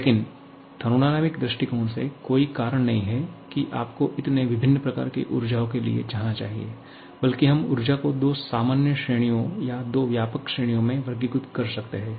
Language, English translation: Hindi, But from thermodynamic point of view, there is no reason that you should go for so many different types of energies rather we can classify energy into two common categories or two broad categories